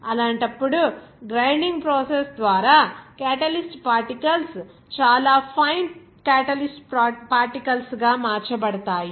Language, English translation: Telugu, In that case, the catalyst particles are converted into very fine catalyst particles by the grinding process